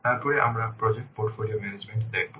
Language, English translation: Bengali, So let's first see what this project portfolio management provides